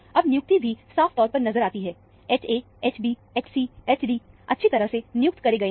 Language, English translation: Hindi, Now, the assignment is also very clearly seen; H a, H b, H c, H d are assigned very nicely